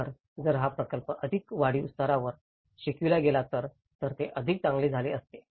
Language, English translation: Marathi, So, if this same project has been taught in a more of an incremental level, that would have been a better success